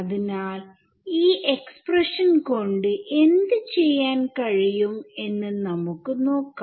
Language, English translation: Malayalam, So, let us see now, what we can do with this expression ok